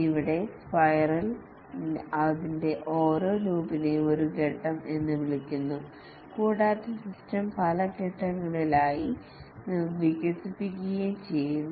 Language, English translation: Malayalam, Here each loop of the spiral is called as a phase and the system gets developed over many phases